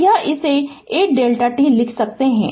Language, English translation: Hindi, So, it is you can write this 8 delta t